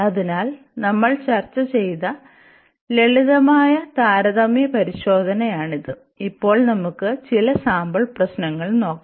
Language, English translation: Malayalam, So, these are the simple comparison test which we have discussed and now we will go for some problems sample problems